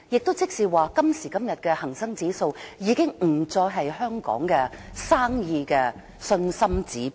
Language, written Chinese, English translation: Cantonese, 換言之，今時今日的恒生指數已不再是香港生意的信心指標。, In other words nowadays HSI is no longer a confidence indicator of business in Hong Kong